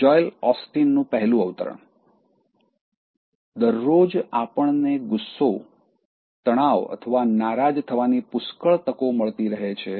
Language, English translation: Gujarati, First one from Joel Osteen: Quote unquote: “Every day we have plenty of opportunities to get angry, stressed or offended